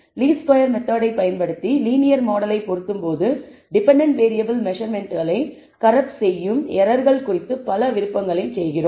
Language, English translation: Tamil, When fitting linear model using the method of least squares we make several options about the errors that corrupt the dependent variable measurements